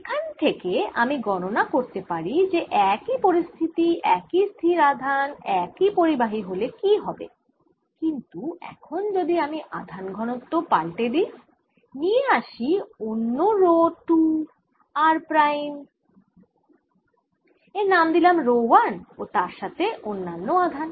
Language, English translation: Bengali, can i calculate for the same situation, same fixed charges, fixed conductors, if i now change the density and bring in some other rho two, r, prime, let's call this rho one and some other charges